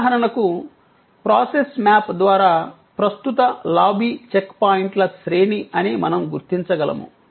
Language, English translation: Telugu, For example, through process map we could identify that this, the current lobby is a series of check points